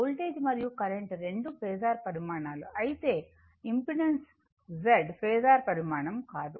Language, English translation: Telugu, If voltage and current both are phasor quantity, but Z is not a impedance, it is not a phasor quantity right